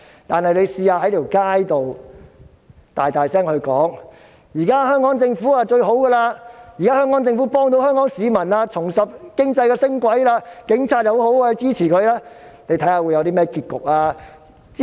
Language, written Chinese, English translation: Cantonese, 但是，如果他們在街上大聲說，香港政府最好，幫助香港市民，令經濟重拾升軌，警察很好，應該支持，看看會有甚麼結局。, However if they say loudly on the streets that the Hong Kong Government is best in assisting Hong Kong people and reviving the economy and that the Police Force are good and warrant our support let us wait and see what will happen in the end